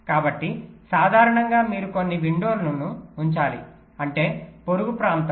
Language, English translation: Telugu, ok, so usually you need to keep some windows, which means the neighborhood